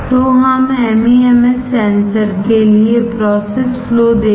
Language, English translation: Hindi, So, let us see the process flow for MEMS sensor